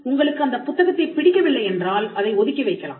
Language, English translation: Tamil, If you do not like the book, you can keep it away